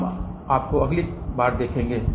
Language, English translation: Hindi, We will see you next time